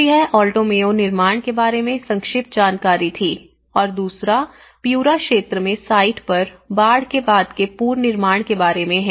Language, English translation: Hindi, So that is the brief about the Alto Mayo constructions and the second one is about the on site reconstruction, post flooding reconstruction Morropon in Piura region